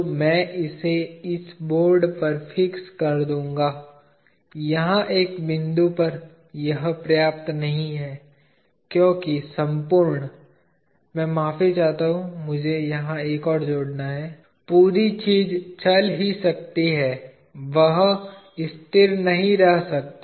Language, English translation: Hindi, So, I will fix it on this board, at one point here this is not enough, because the entire; I am sorry; I have to add one more here, the entire thing can only move, it cannot remain stationary